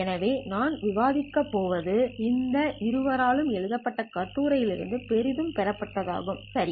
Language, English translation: Tamil, So whatever we are going to discuss is derived heavily from the paper that was authored by these two